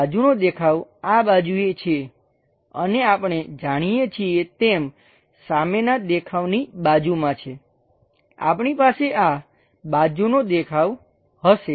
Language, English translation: Gujarati, Side view is on this side and what we know is next to front view, we will be having this side view